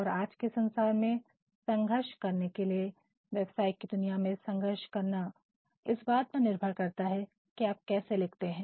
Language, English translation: Hindi, And in order to thrive in today’s world; in order to thrive in a business world of today much depends upon how you write